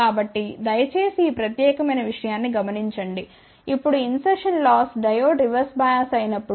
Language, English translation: Telugu, So, please notice this particular thing that, now insertion loss is when Diode is reverse bias